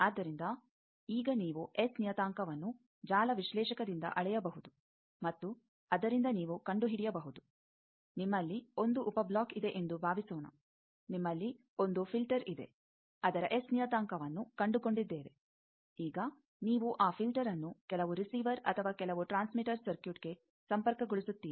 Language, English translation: Kannada, So, now, you can measure S parameter by network analyser and from that you can find out as the case may be suppose you are 1 sub block let us 1 filter you have found its S parameter now you want to that filter will be connected to some receiver or some transmitter circuit